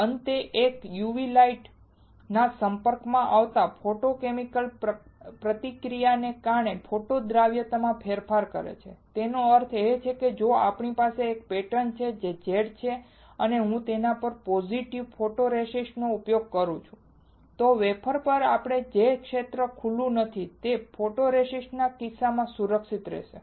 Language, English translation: Gujarati, Finally, it changes photo solubility due to photochemical reaction exposed to UV light; that means, if we have a pattern which is Z and I use positive photoresist on it, then on the wafer the area which is not exposed will be protected in case of photoresist